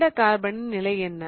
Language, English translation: Tamil, What about this carbon here